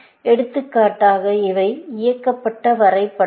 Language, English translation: Tamil, For example, these are directed graphs